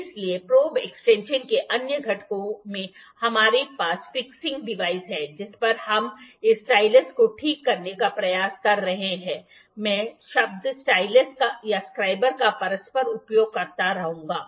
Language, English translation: Hindi, So, other components of the probe extension we have fixing device on which we are trying to fix this stylus, I will keep on using word stylus or scriber interchangeably